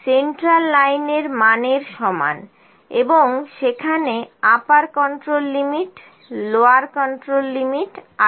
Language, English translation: Bengali, Central line is equal to this value and upper control limit, lower control limit are there